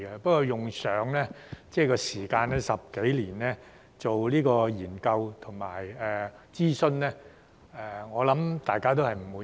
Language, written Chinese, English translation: Cantonese, 不過，局長，用上10多年時間做研究和諮詢，我想大家也不滿意。, However Secretary I think Members are not satisfied with the fact that it has taken more than 10 years to conduct studies and consultation